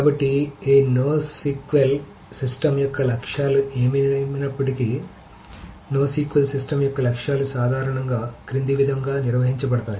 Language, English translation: Telugu, So the goals of this no SQL system, whatever it, the goals of no SQL systems is, can be generically summarized as the follows